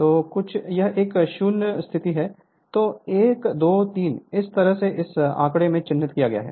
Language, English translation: Hindi, So, some it is a 0 position then 1, 2, 3 this way it has been marked in this figure